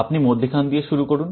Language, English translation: Bengali, You start with the middle